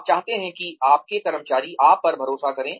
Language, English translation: Hindi, You want your employees to trust you